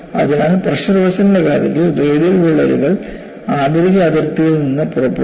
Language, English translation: Malayalam, So, in the case of pressure vessels, radial cracks can emanate from the inner boundary